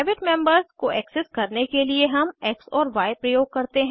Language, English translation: Hindi, To access the private members we use x and y